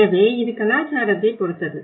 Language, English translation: Tamil, So it all about the cultural belonging